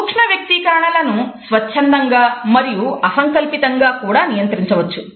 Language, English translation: Telugu, Micro expressions can also be controlled voluntary and involuntary